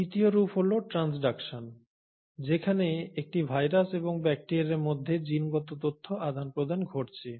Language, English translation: Bengali, And a third form is transduction wherein there is a genetic information happening between a virus and a bacteria